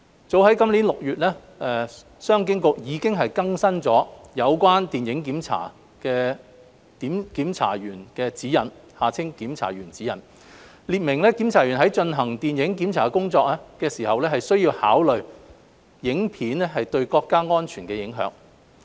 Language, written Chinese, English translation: Cantonese, 早於今年6月，商務及經濟發展局已經更新了《有關電影檢查的檢查員指引》，列明檢查員在進行電影檢查工作時需要考慮影片對國家安全的影響。, The Commerce and Economic Development Bureau updated the Film Censorship Guidelines for Censors as early as June this year specifying that censors should consider the implications of a film on national security when performing film censorship duties